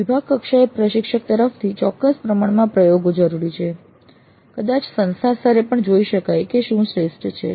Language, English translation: Gujarati, It does require certain amount of experimentation from the faculty at the department level, probably at the institute level also to see what works best for them